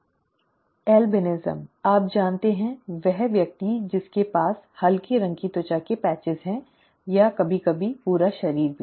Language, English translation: Hindi, Albinism, you know the person withÉ who has light coloured skin patches, skin patches or sometimes even the entire body that is albinism, okay